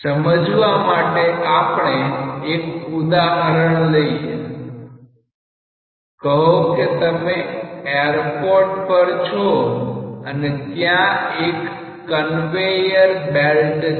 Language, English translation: Gujarati, To understand that let us consider an example; say you are there in an airport and there is a conveyor belt